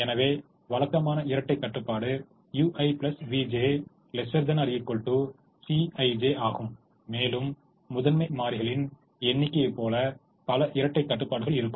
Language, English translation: Tamil, so the typical dual constraint is u i plus v j is less than or equal to c i j, and there'll be as many dual constraints as the number of primal variables